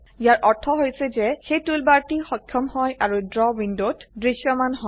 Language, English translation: Assamese, This means the toolbar is enabled and is visible in the Draw window